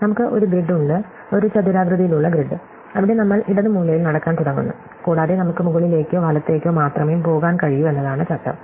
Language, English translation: Malayalam, So, we have a grid, a rectangular grid, where we start walking at the bottom left corner, and the rule is that we can only go up or right